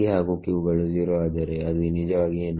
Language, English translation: Kannada, when both p and q are 0 what is it physically